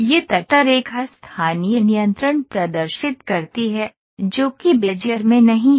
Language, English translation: Hindi, These spline exhibits lot of local control, which is not there in Bezier